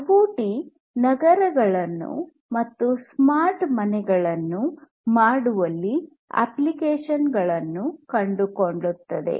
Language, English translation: Kannada, So, IoT finds applications in making cities and homes smart